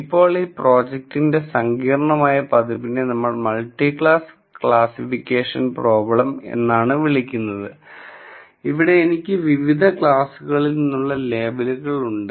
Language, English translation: Malayalam, Now, complicated version of this problem is what we call as a multiclass classification problem where I have labels from several different classes